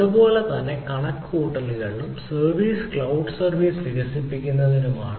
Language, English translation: Malayalam, this is for calculation and service develop cloud services